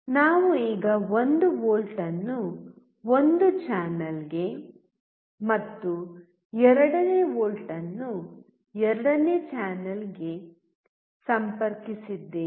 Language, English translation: Kannada, We have now connected 1 volt to one channel and second volt to second channel